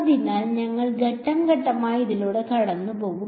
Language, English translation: Malayalam, So, we will sort of go through it step by step